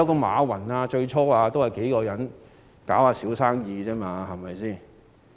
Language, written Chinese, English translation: Cantonese, 馬雲最初也是與數人經營小生意。, Jack MA started out in running a small business with several people